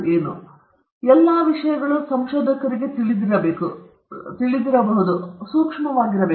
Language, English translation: Kannada, So, all these things a researcher might be aware of and should be sensitive to